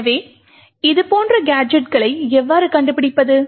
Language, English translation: Tamil, So how do we find such gadgets